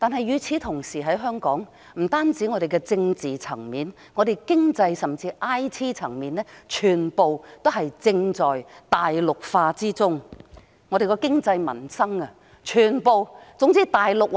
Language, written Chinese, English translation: Cantonese, 與此同時，不僅在政治層面上，香港在經濟甚或 IT 層面上全在大陸化中，經濟民生等全由大陸說了算。, At the same time Hong Kong is being Mainlandized on not only the political front but also the economic and information technology fronts . The Mainland has the final say on economic and livelihood matters